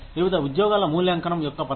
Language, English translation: Telugu, The method of evaluation of different jobs